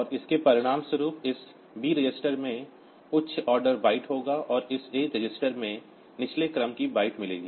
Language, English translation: Hindi, And as a result this B register will have the higher order byte, and this A register will have get the lower order byte